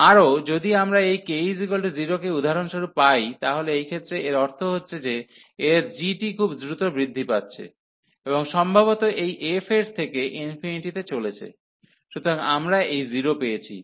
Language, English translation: Bengali, Further if we get for example this k to be 0, so in this case what is happening that means, this s this g is growing much faster and perhaps going to infinity than this f x, so we got this 0